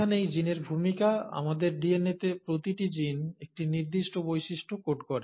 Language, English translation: Bengali, And this is where the role of genes, each gene in our DNA codes for a certain character